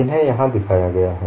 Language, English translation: Hindi, These are shown here